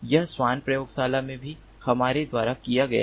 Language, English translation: Hindi, this also has been done by ah us in the swale lab